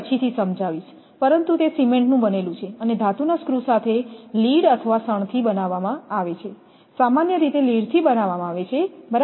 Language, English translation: Gujarati, But that is why it is cemented and with a metal screws use is made of lead or hemp generally lead, right